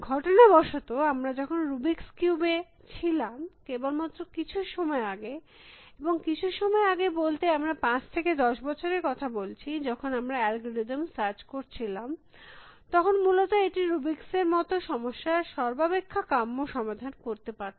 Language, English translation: Bengali, Incidentally, while we are at the rubrics cube, only very recently and by recently I mean in the last five to ten years have search algorithms been able to search for optimal solutions of a rubrics of a problem like this essentially